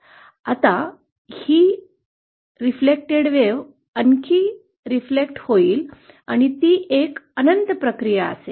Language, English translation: Marathi, Now this reflected wave will be further reflected wave, and so on that will be an endless process